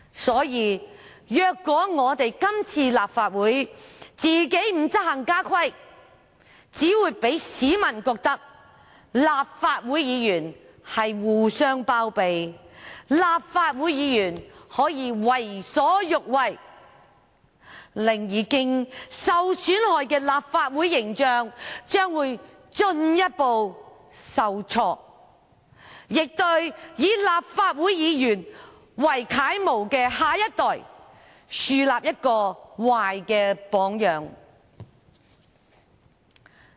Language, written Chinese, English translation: Cantonese, 所以，若立法會今次不執行家規，只會令市民認為立法會議員互相包庇，立法會議員可以為所欲為，令已經受損害的立法會形象進一步受挫，亦向以立法會議員為楷模的下一代樹立壞榜樣。, Therefore if the Legislative Council does not enforce its house rules this time around the public will think that Members of the Legislative Council are covering up for each other and may act as they please harming the already damaged image of the Council and setting a bad example to the next generation who takes Members as role models